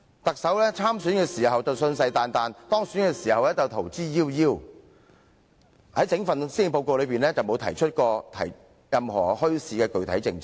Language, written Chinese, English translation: Cantonese, 她在參選時信誓旦旦，當選後卻逃之夭夭，在整份施政報告當中全無提出任何具體的墟市政策。, She was earnest in making the pledge when she ran for the election; but after she was elected her pledge had vanished into thin airs . In her policy address nothing was mentioned about any specific policy on bazaars whatsoever